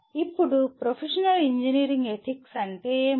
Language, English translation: Telugu, Now, what are Professional Engineering Ethics